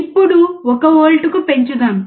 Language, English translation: Telugu, Now, let us increase to 1 volts